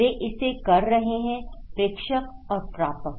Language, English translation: Hindi, They are doing it, senders and the receivers